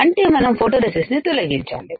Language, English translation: Telugu, Now, you have to remove this photoresist